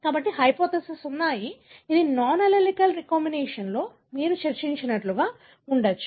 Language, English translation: Telugu, So, there arehypothesis, which either supports that it could be because of like what you have discussed in non allelic recombination